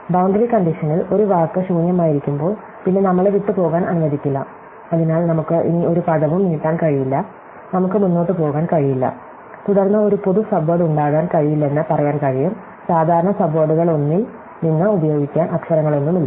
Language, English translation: Malayalam, In the boundary condition is when one of the words is empty, then we have no let us left, so we cannot extend one of the words any more, we cannot go forward, then we can say that there cannot be a common subword, because there are no letters to use from one of the common subwords